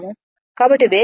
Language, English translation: Telugu, So, if you increase the speed